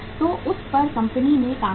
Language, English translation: Hindi, So then company worked on it